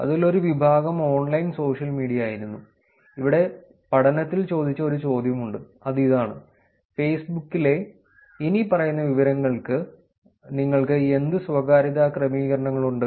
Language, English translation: Malayalam, One section in that was online social media, here is a question that was asked in the study, the question reads, what privacy settings do you have for the following information on Facebook